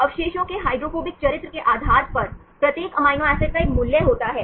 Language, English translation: Hindi, Each amino acid has a value, depending upon the hydrophobic character of the residues